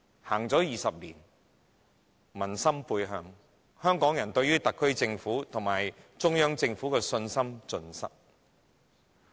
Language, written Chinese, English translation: Cantonese, 回歸20年，民心背向，香港人對於特區政府及中央政府的信心盡失。, Hong Kong people turn their backs on the Government 20 years after the handover as they have completely lost confidence in both the HKSAR Government and the Central Government